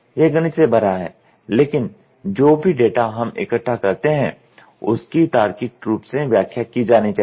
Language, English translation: Hindi, It is full of mathematics, but all the data whatever we collect has to be logically interpreted